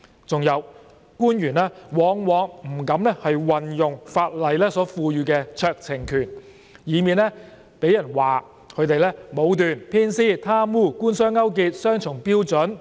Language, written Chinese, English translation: Cantonese, 還有官員往往不敢運用法例所賦予的酌情權，以免被人批評他們武斷、偏私、貪污、官商勾結、雙重標準。, How ridiculous were these? . Besides officials are often reluctant to exercise the discretion conferred by the law in order to avoid being criticized for being subjective for practising favouritism being corrupt allowing government - business collusion and having double standard